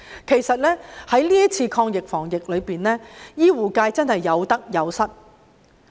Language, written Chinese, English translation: Cantonese, 其實，在這次抗疫防疫中，醫護界真是有得有失。, In fact the healthcare sector indeed has both gains and losses during the fight against the epidemic